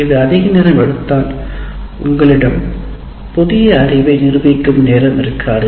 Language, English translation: Tamil, If it takes too long then you don't have time for actually demonstrating the new knowledge